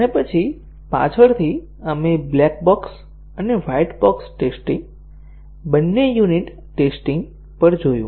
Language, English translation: Gujarati, And then, later we looked at unit testing, both black box and white box testing